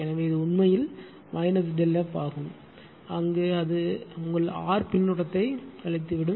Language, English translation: Tamil, So, this is actually minus delta F and there it is minus your R feedback